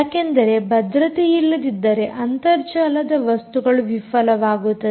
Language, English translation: Kannada, without without security, the internet of things is going to fail